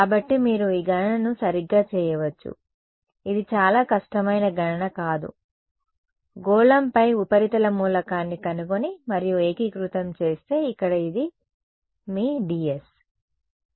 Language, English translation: Telugu, So, you can do this calculation right this is not a very difficult calculation find the surface element on a sphere and integrate this is going to be what is your ds over here